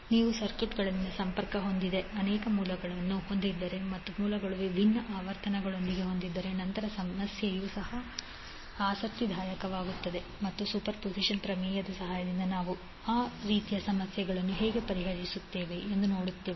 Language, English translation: Kannada, So, if you have multiple sources connected in the circuit and those sources are having a different frequencies, then the problem will also become interesting and we will see how we will solve those kind of problems with the help of superposition theorem